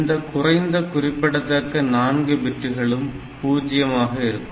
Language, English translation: Tamil, So, least significant 4 bits they should be turned off